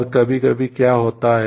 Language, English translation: Hindi, And also sometimes what happens